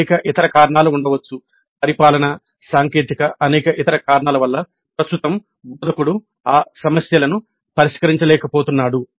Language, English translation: Telugu, There could be several other reasons administrative, technical, many other reasons because of which right now the instructor is unable to address those issues